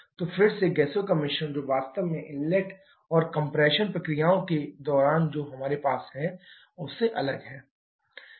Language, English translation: Hindi, So is again a mixture of gases and which is actually different from what we had during the inlet and compression processes